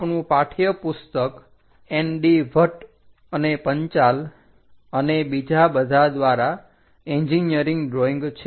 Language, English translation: Gujarati, Our text book is engineering drawing by ND Bhatt, and Panchal, and others